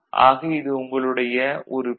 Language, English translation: Tamil, So, this is A, right